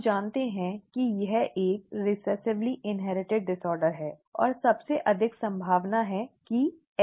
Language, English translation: Hindi, We know that it is a recessively inherited disorder and most likely X linked so let us work it out